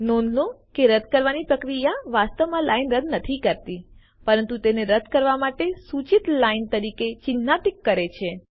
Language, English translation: Gujarati, Note that the deletion does not actually delete the line, but marks it as a line suggested for deletion